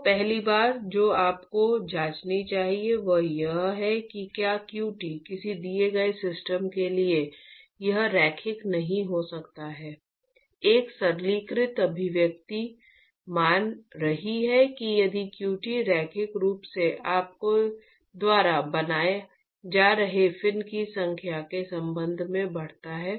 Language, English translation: Hindi, So, the first thing you should check is whether qt, for a given system, I mean, it may not be linear, a simplistic expression is supposing if the qt increases linearly with respect to the number of fins that you are actually constructing in this complex system only then it is worthwhile to put the number